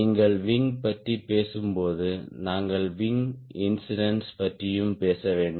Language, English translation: Tamil, when you talk about wing, we also should talk about wing incidence